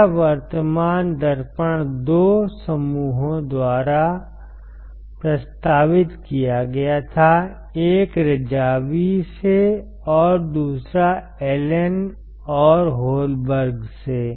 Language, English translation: Hindi, This current mirror were proposed by 2 groups one is from Razavi and another from Allen and Holberg